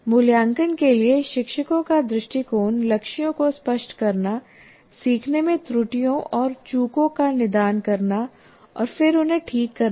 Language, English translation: Hindi, And the teacher's approach to assessment is to make goals clear to diagnose errors and omissions in learning and then correct these